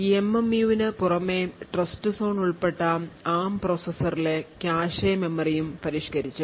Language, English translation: Malayalam, Now in addition to the MMU the cache memory present in Trustzone enabled ARM processors is also modified